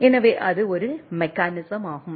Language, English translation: Tamil, So, that is a mechanisms which is there